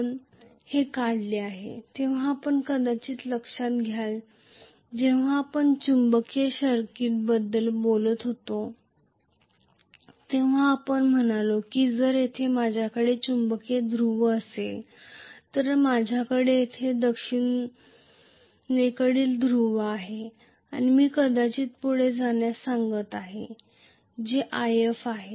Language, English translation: Marathi, We drew this if you may recall when we were talking about magnetic circuit we said that if I have a magnetic pole here, I have the south pole here, and I am going to probably,you know push a current which is corresponding to some ‘If’, ‘If’is the field current I am talking about,ok